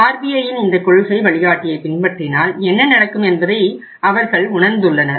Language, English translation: Tamil, They feel that if we implement this policy directive of RBI then what will happen